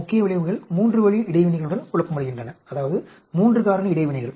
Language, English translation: Tamil, Main effects are confounded with three way interactions, I mean 3 factor interactions